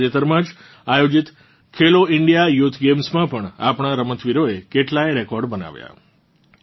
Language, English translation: Gujarati, In the recently held Khelo India Youth Games too, our players set many records